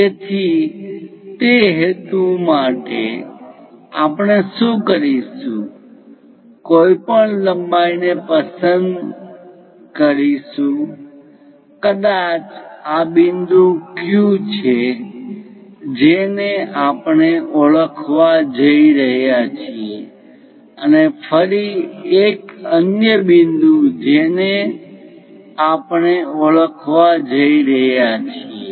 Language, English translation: Gujarati, So, for that purpose what we are going to do is pick any length from perhaps this is the point Q what we are going to identify and again another point we are going to identify